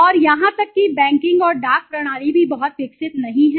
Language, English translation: Hindi, And even the banking and the postal system not been a very developed one okay